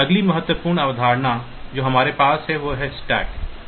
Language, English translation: Hindi, The next important concept that we have is the stack